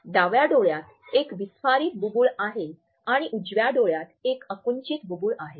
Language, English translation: Marathi, The left eye has a dilated pupil and the right eye has a constricted pupil